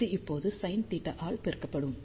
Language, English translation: Tamil, So, this will be now multiplied by sin theta